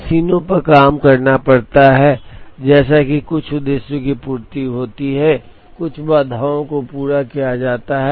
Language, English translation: Hindi, The jobs have to be carried out on the machines, such that certain objectives are met, certain constraints are satisfied